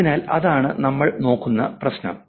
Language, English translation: Malayalam, Okay, so that's the problem that we look at